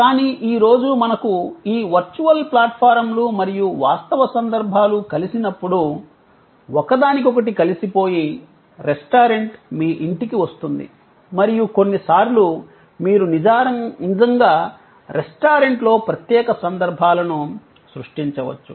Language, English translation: Telugu, But, today when we have this mix of virtual platform and real occasions, sort of integrated together, where the restaurant comes to your house and sometimes, you may actually create a special occasions in the restaurant